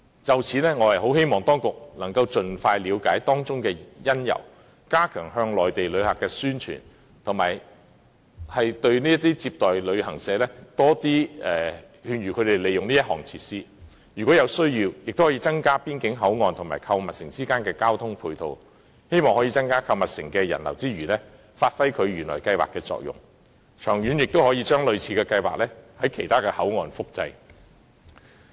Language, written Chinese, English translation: Cantonese, 就此，我希望當局能盡快了解當中的因由，加強向內地旅客的宣傳，以及勸諭接待旅行社多利用這項設施，如有需要，亦可增加邊境口岸與購物城之間的交通配套，希望在增加購物城的人流之餘，發揮原來計劃的作用，長遠亦可把類似的計劃在其他邊境口岸複製。, In this connection I hope that the authorities can find out the reason expeditiously and step up publicity among Mainland visitors and also encourage receiving travel agencies to use this facility more often . If necessary improvement can also be made to the matching transport facilities between boundary control points and the shopping mall in the hope that while customer flow can be increased the shopping mall can serve its intended purpose and similar projects can also be reproduced at other boundary control points in the long run